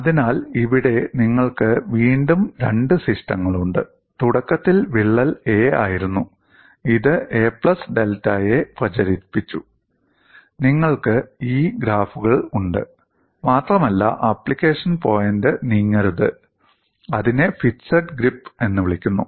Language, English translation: Malayalam, So, here, again you have two systems; one in which crack was initially a; it has propagated to a plus delta a, and you have these graphs and the point of application do not know; it is called fixed grips